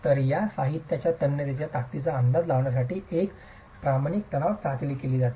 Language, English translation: Marathi, So, a standard tension test is done to estimate the tensile strength of these materials